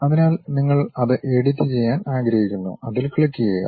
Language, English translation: Malayalam, So, you want to really edit that one, click that one